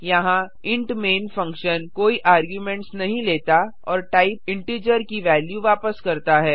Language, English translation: Hindi, Here the int main function takes no arguments and returns a value of type integer